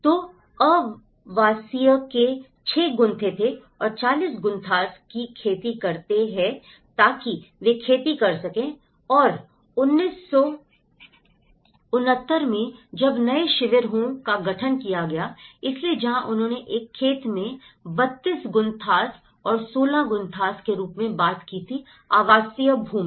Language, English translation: Hindi, So, there were 6 Gunthas of residential and 40 Gunthas of farmland so that they can do the farming and whereas, in 1969 when the new camps have been formed, so where they talked about 32 Gunthas in a farmland and the 16 Gunthas as a residential land